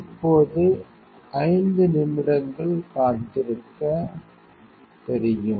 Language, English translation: Tamil, Now, you know wait 5 minutes